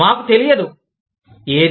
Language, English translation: Telugu, We do not know, what